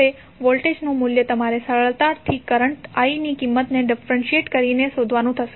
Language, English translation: Gujarati, Now, voltage value you will have to find out by simply differentiating the value of current i